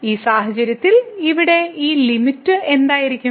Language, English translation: Malayalam, So, in this case what will be this limit here